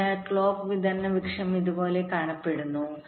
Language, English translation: Malayalam, so clock distribution tree looks something like this